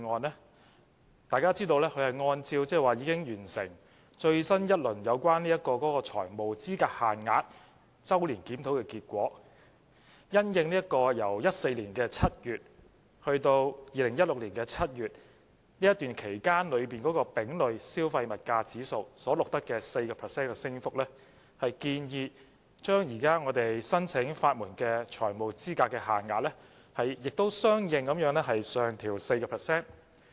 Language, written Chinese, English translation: Cantonese, 眾所周知，擬議決議案按照已完成的最新一輪有關財務資格限額周年檢討的結果，因應由2014年7月至2016年7月期間的丙類消費物價指數所錄得的 4% 升幅，建議將現時申請法援的財務資格限額相應上調 4%。, As we all know in accordance with the result of a new round of annual review on the financial eligibility limits FELs and in response to the increase by 4 % of the Consumer Price Index C for the period from July 2014 to July 2016 the resolution has proposed to raise FELs for legal aid applications by 4 % accordingly